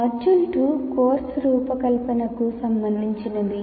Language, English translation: Telugu, Module 2 is related to course design